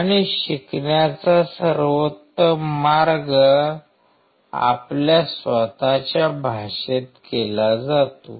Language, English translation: Marathi, And the best way of learning is done in your own language